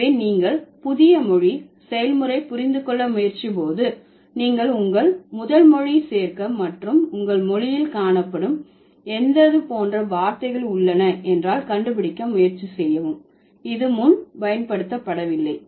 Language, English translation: Tamil, So, when you think about neologism or when you are trying to understand the process of neologism, you should also include your first language and try to find out if there are any such words which are also found in your language which was not used before